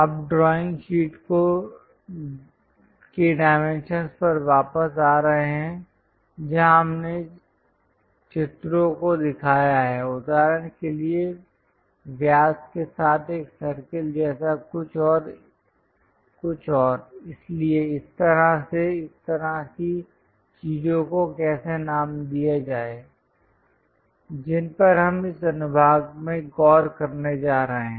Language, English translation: Hindi, Now, coming back to the dimensions of the drawing sheet, where we have shown the pictures for example, something like a circle with diameter and so, on so, things how to name such kind of things we are going to look at in this section